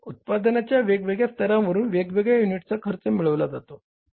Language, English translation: Marathi, Hence, different unit costs are obtained for the different levels of output